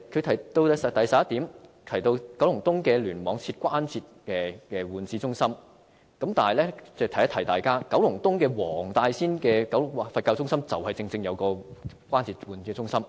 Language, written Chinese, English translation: Cantonese, 他在第點提到在九龍東聯網設立關節置換中心，但我要提醒大家，九龍東黃大仙的佛教醫院正正設有關節置換中心。, He mentioned the setting up of a Joint Replacement Centre in the Kowloon East Cluster in item 11 . But I have to remind Members that a Joint Replacement Centre is precisely available in the Buddhist Hospital in Wong Tai Sin Kowloon East